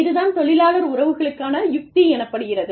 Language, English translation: Tamil, We have labor relations strategy